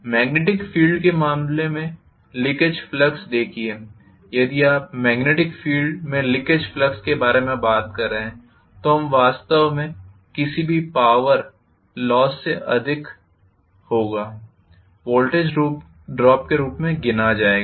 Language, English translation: Hindi, Leakage flux in the case of the magnetic field, see in the magnetic field if you are talking about leakage flux, that will be actually counted as the voltage drop more than any power loss